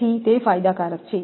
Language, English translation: Gujarati, So, it is advantageous